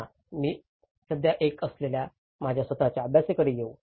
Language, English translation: Marathi, Letís come to some of my own study which I am currently doing